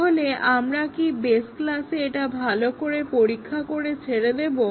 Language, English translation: Bengali, So, do we test it well in the base class and leave it there